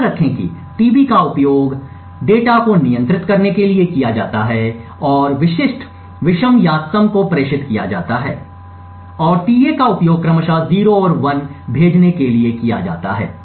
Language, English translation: Hindi, Recollect that tB are used in order to control the data and specific odd or even bits being transmitted and tA are used to send 0s and 1s respectively